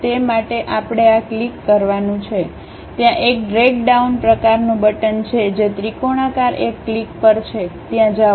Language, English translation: Gujarati, For that what we have to do is click this one there is a drag down kind of button the triangular one click that, go there